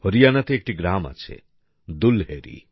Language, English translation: Bengali, There is a village in Haryana Dulhedi